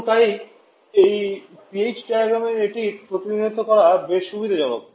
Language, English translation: Bengali, And therefore, it is quite convenient to represent this one on this PH diagram